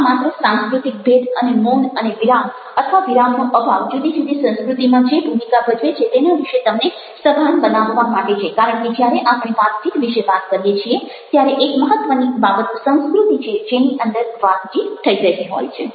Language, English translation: Gujarati, this is just make you aware of cultural differences and the role that silence, possess or the lake of possess play in this: different cultures, because when we are taking about conversation, we one of the important things is the culture within which the conversation is taken place